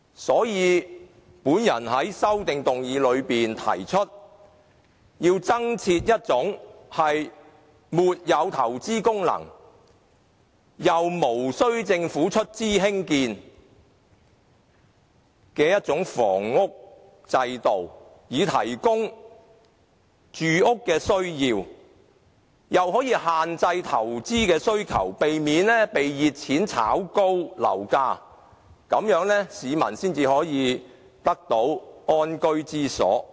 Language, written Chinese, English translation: Cantonese, 所以，我在修正案裏提出要增設一種沒有投資功能，既無投資功能，又無須政府出資興建的房屋制度，以滿足市民住屋的需要，同時亦限制投資的需求，避免被熱錢炒高樓價，這樣市民才能覓得安居之所。, Hence I have proposed in my amendment the provision of a kind of housing that has no investment value . Since this kind of housing has no investment value and its construction is not funded by the Government it can meet peoples housing needs while at the same time dampen the investment demand . Hence the property price will not be driven up by speculation and people can thus find a decent home